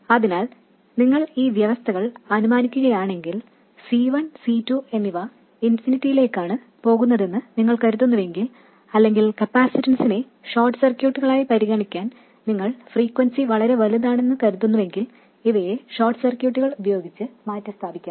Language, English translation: Malayalam, So, if you assume these conditions, if you assume that C1 and C2 are tending to infinity or that the frequency is large enough for you to treat the capacitance as short circuits, these can be replaced by short circuits